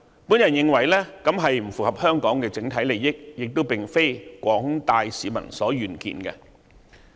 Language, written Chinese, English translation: Cantonese, 我認為這不符合整體香港利益，亦並非廣大市民所願見。, I believe this is not in the overall interest of Hong Kong nor does the general public wish to see such a situation